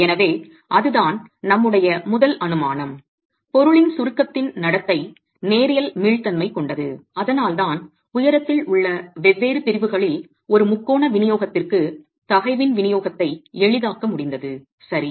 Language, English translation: Tamil, So, that was our first assumption that the behavior and compression of the material is linear elastic and that is why we were able to simplify the distribution of stress to a triangular distribution in the, in different sections along the height, right